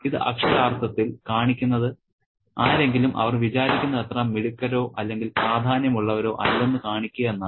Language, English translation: Malayalam, It literally means to show someone that they are not as clever or as important as they think